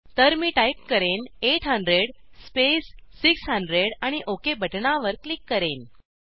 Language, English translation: Marathi, So I will type 800 space 600 and click on OK button